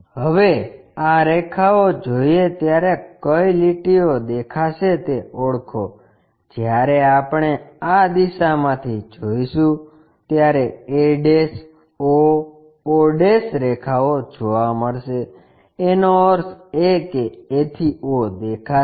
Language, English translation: Gujarati, Now, identify the lines which are visible when we are looking from this direction will be definitely seeing a' o o' lines that means, a to o will be visible